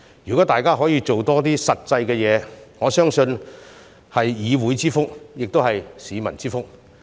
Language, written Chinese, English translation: Cantonese, 如果大家可以多做一些實際工作，我相信是議會之福，也是市民之福。, If we can do more solid I believe it is a blessing to the legislature and the public